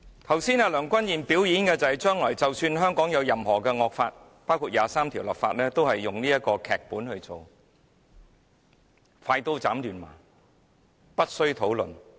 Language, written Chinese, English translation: Cantonese, 剛才梁君彥的"表演"，顯示出即使將來香港有甚麼惡法，包括就《基本法》第二十三條立法，也會根據這個"劇本"行事，"快刀斬亂麻"，無須討論。, As indicated by Andrew LEUNGs performance just now should there be any draconian law in Hong Kong in the future including the legislation for Article 23 of the Basic Law he will act according to this script bring a swift end to everything without discussions